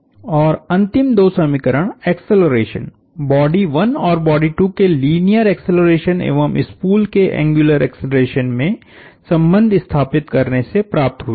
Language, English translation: Hindi, And the last two equations came from relating the accelerations; the angular acceleration of the spool to the linear acceleration of a 1 of bodies 1 and 2